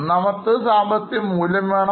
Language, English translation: Malayalam, One, it's an economic value on